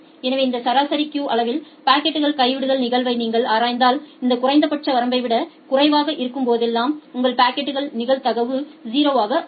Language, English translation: Tamil, So, if you look into the packet drop probability of this average queue size you will see whenever it is less than this minimum threshold your packet the probability is 0